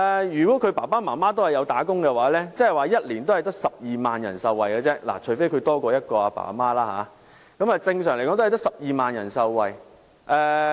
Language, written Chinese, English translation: Cantonese, 如果他們的父母均為受僱人士，即1年只有12萬人受惠，除非他們有多於一對父母，但正常只有12萬人受惠。, For instance as there were about 60 000 newborns last year assuming that their parents are employed persons the policy will benefit only 12 000 persons per year except if some have more than one pair of parents . But under normal circumstances only 12 000 persons will be benefited per year